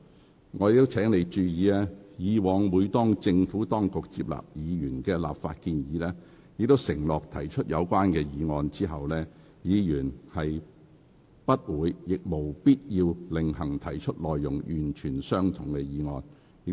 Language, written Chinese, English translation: Cantonese, 許議員，我亦請你注意，以往當政府接納議員的立法建議並承諾提出有關議案後，議員不會亦無必要另行提出內容完全相同的議案。, Mr HUI I would also like to draw your attention to the fact that according to past practice in case the Government adopts legislative proposals put forward by Members and promises to move relevant motions Members concerned will not propose other identical motions on their own . It is also unnecessary for them to do so